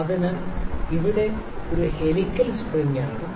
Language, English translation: Malayalam, So, it is a helical spring here